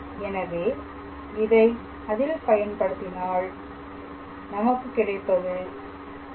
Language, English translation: Tamil, So, if I substitute there then this will be 4